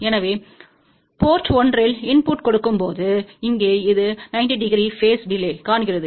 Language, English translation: Tamil, So, when we give input at port 1 so, this one here sees a 90 degree phase delay